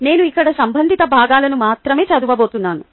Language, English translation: Telugu, i am going to read out only relevant parts here